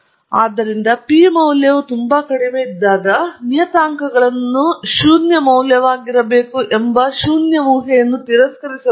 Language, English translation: Kannada, So, when the p value is extremely low, the null hypothesis that the parameters should be zero value must be rejected